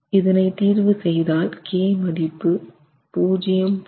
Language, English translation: Tamil, And we get a value of 0